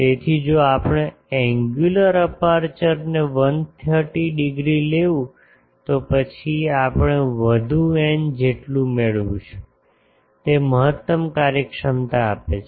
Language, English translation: Gujarati, So, if we take the angular aperture to be 130 degree then we get further n is equal to 2 it is gives the maximum efficiency